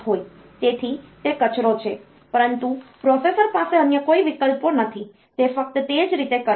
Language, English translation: Gujarati, So, that is the garbage, but the processor has got no other options, it will do that way only